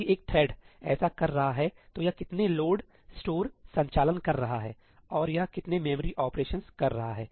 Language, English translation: Hindi, If one thread is doing this, how many load, store operations is it performing and how many memory operation is it performing